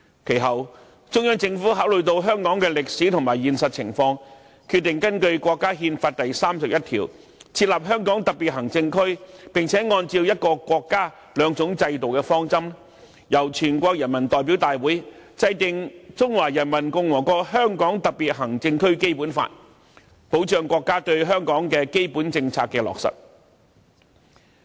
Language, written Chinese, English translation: Cantonese, 其後，中央政府考慮到香港的歷史和現實情況，決定根據國家憲法第三十一條，設立香港特別行政區，並按照"一個國家，兩種制度"的方針，由全國人民代表大會制定《中華人民共和國香港特別行政區基本法》，為國家落實對香港的基本政策提供保障。, Subsequently after considering the history and practical situation of Hong Kong the Central Government decided to establish the Special Administrative Region of Hong Kong under Article 31 of the National Constitution and formulated the Basic Law of the Hong Kong Special Administrative Region of the Peoples Republic of China by the National Peoples Congress under the principle of one country two systems to safeguard the implementation of the States basic policy principle for Hong Kong